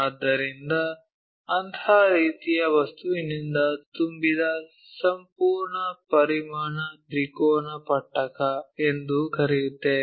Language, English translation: Kannada, So, the complete volume filled by such kind of object, what we call triangular prism